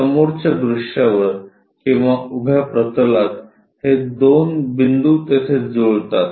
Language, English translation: Marathi, So, on the front view or perhaps vertical plane these two points map there